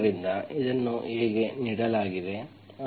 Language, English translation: Kannada, So this is how it is given, so